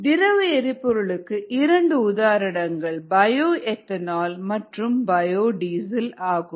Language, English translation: Tamil, two examples of liquid fuel are bio ethanol and bio diesel